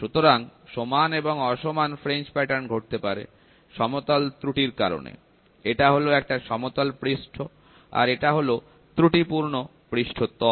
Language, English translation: Bengali, So, equal and unequal fringe patterns due to flatness error, this is a flat surface, this is an error surface